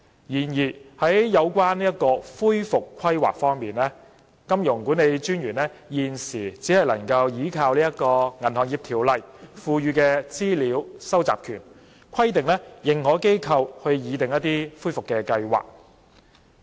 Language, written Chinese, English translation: Cantonese, 然而，有關恢復規劃方面，金融管理專員現時只可憑藉《銀行業條例》所賦予的資料收集權，規定認可機構擬訂恢復計劃。, In respect of recovery planning at present the Monetary Authority MA only relies on the information - gathering powers under the Banking Ordinance BO to require authorized institutions AIs to prepare recovery plans